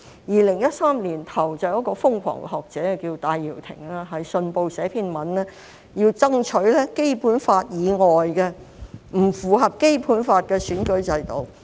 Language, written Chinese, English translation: Cantonese, 2013年年初，有一位瘋狂學者叫戴耀廷，在《信報》撰寫一篇文章，要爭取《基本法》以外、不符合《基本法》的選舉制度。, In early 2013 a crazy scholar named Benny TAI wrote an Article in the Hong Kong Economic Journal advocating an electoral system outside the Basic Law and not in line with the Basic Law . He said he would occupy Central with love and peace